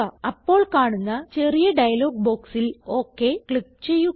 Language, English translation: Malayalam, Click on OK in the small dialog box that appears